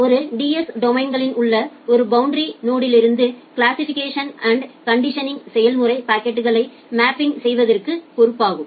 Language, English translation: Tamil, The classification and conditioning process of a boundary node in a DS domain it is responsible for mapping packets to a forwarding class